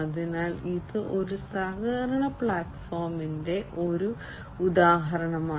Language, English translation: Malayalam, So, this is an example of a collaboration platform